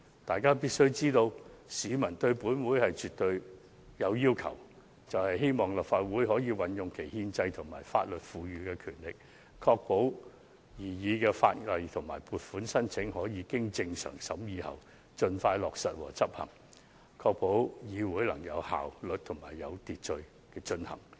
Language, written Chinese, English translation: Cantonese, 大家必須明白到，市民對本會是絕對有要求的，就是希望立法會可以運用其憲制及法律賦予的權力，確保擬議法例及撥款申請可以經正常審議後，盡快落實和執行，並同時確保會議能有效率及有秩序地進行。, We must understand that members of the public are absolutely demanding of the Legislative Council who expect this Council to exercise its power conferred by the constitution and law to ensure expeditious implementation and enforcement of proposed legislation and funding applications that have undergone normal proceedings of deliberation . Meanwhile it should ensure effective and orderly conduct of its meetings